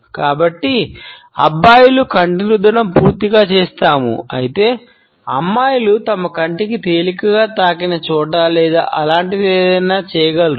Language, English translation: Telugu, So, guys we will, we will do a full on eye rub whereas, girls might do something to where they lightly touched underneath their eye or something like that